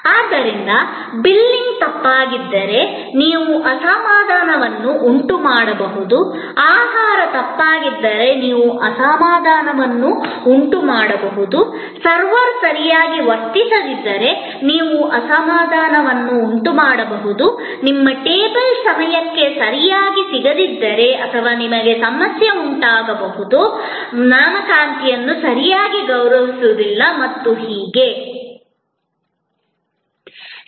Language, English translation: Kannada, So, you can create dissatisfaction if the billing is wrong, you can create dissatisfaction if the food is wrong, you can create dissatisfaction if the server did not behave well, you can have problem if the appointment is not properly honoured, you did not get your table on time and so on and so on